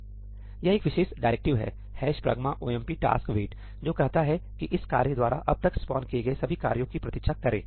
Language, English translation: Hindi, This is a particular directive ‘hash pragma omp taskwait’, which says that wait for all the tasks that have been spawned by this task so far to complete